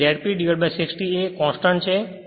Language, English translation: Gujarati, So, Z P upon 60 A is a constant right